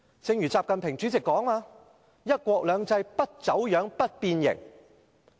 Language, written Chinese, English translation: Cantonese, 正如習近平主席所說，要確保"一國兩制"不走樣、不變形。, As indicated by President XI Jinping one country two systems should not be distorted or twisted